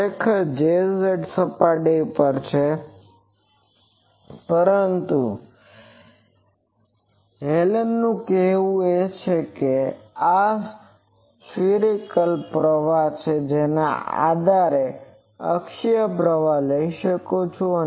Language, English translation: Gujarati, Actually J z is on surface here, but Hallen’s says that these circumferential current I can finally, take an axial current equivalent to that